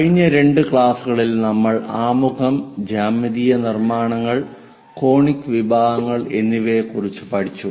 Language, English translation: Malayalam, In the last two classes, we have covered introduction, geometric constructions and conic sections